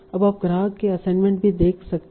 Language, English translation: Hindi, Now you are also seeing the customer assignments